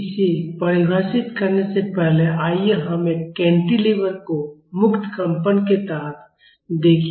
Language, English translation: Hindi, Before defining it let us see a cantilever under free vibration